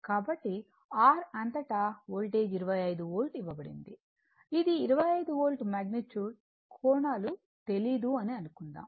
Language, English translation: Telugu, So, across R the Voltage is given your 25 Volt, this is magnitude say it is 25 Volt angles are not known